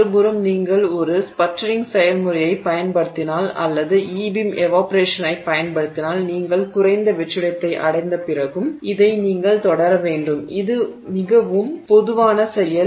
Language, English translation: Tamil, On the other hand if you use sputtering process or you use the e beam evaporation even after you reach the, you have to continue this, it is a very slow process